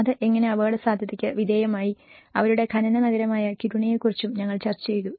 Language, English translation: Malayalam, How it has been subjected to risk and we also discussed about Kiruna, their mining town